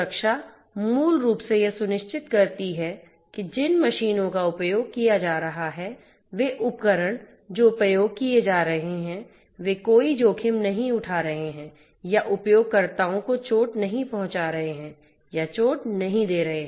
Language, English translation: Hindi, Safety basically ensures that the machinery that are being used, the devices that are being used are not going to pose any risks or are going to not hurt or you know or give injury to the users